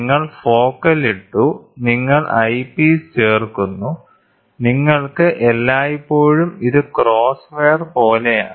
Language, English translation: Malayalam, Is you put the focal you add the eyepiece, you will always have this is as the cross wire